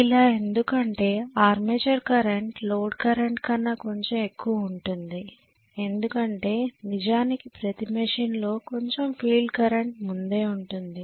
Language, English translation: Telugu, Because I am going to assume that even if the armature current is slightly higher than the load current because of the fact that there is some amount of field current in a current machine